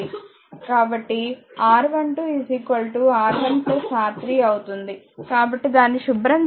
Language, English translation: Telugu, So, R 1 2 will become R 1 plus R 3; so, just clean it let me go right